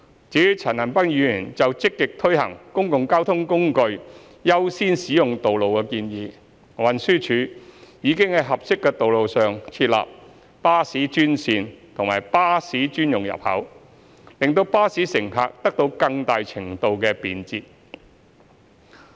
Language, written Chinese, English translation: Cantonese, 至於陳恒鑌議員就積極推行公共交通工具優先使用道路的建議，運輸署已在合適的道路上設立巴士專線和巴士專用入口，令巴士乘客得到更大程度的便捷。, As for Mr CHAN Han - pans proposal on proactively implementing the measure to accord priority in the use of roads to public transport the Transport Department TD has set up bus - only lanes and designating bus gates on suitable roads to provide greater convenience to bus passengers